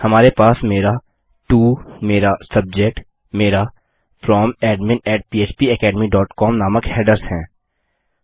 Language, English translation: Hindi, Weve got my to, my subject, my headers saying From:admin@phpacademy.com